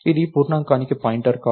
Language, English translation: Telugu, Its not a pointer to an integer